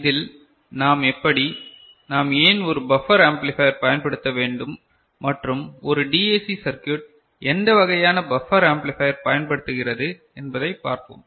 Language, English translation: Tamil, In this, we shall see that, how we why we need to use a buffer amplifier and what sort of buffer amplifier we use for a DAC circuit